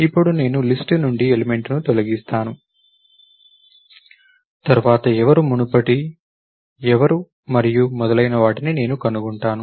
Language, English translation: Telugu, Now, I delete the element from the list, then I find out who is next, who is previous and so on, so forth